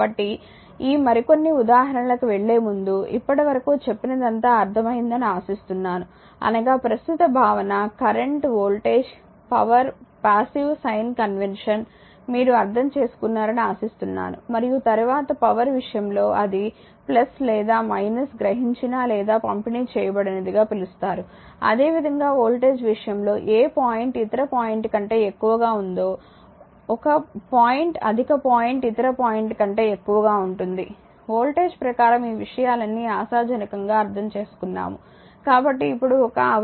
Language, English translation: Telugu, So, I hope up to this before going to this few more example, I hope up to this you have your understood your what you call the basic concept the current the voltage the power and the passive sign convention right and then in the case of power that your what you call that plus or minus that absorbed or delivered, similarly in the case of voltage that which point is higher than the other point 1 point is higher than higher point other point that per your voltage, all this things hopefully you have understood right Therefore one hour is equal to 3600 joules right now come to that few simple examples that how much charge is represented by 5524 electrons this is example 1